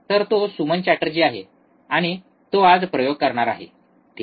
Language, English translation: Marathi, So, he is Suman Chatterjee, and he will be performing the experiments today, alright